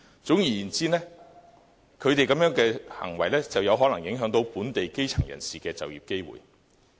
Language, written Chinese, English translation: Cantonese, 總而言之，他們這種行為可能會影響本地基層人士的就業機會。, In short their actions may affect the employment opportunities of local grass - root people